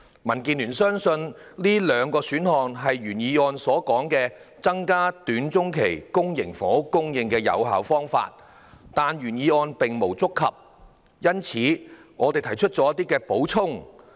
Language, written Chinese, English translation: Cantonese, 民建聯相信這兩個選項是原議案提述的"增加短中期房屋供應"的有效方法，但原議案並無觸及這兩個選項，因此，我們提出了一些補充。, DAB believes these two options are effective ways of increasing housing supply in the short to medium term as stated in the original motion . Yet the original motion did not touch on these two options . For this reason we have added some points